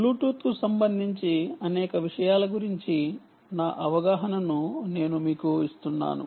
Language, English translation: Telugu, i just give you my understanding of several things with respect to bluetooth itself